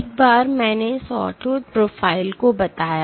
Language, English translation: Hindi, One I introduced Sawtooth Profile